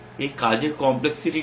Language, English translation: Bengali, What is the complexity of these task